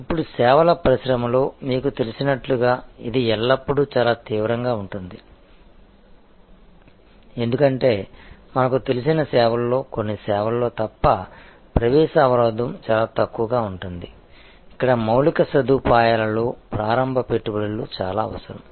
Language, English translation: Telugu, Now, this as you know in the services industry is always very intense, because in services as we know entry barrier is relatively much lower except in certain services, where there may be a lot of initial investment needed in infrastructure